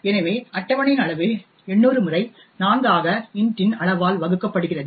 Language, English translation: Tamil, So size of table would be 800 times 4 divided by size of int